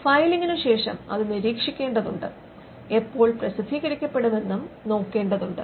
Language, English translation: Malayalam, So, after the filing it has to monitor the filing, it has to take look at when the publication happens, it has to monitor the publication